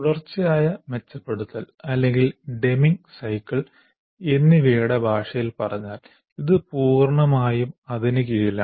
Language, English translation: Malayalam, In the language of what we called it as continuous improvement or using the Deming cycle, this comes completely under that